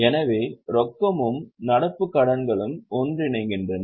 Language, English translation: Tamil, So, cash and current liabilities go together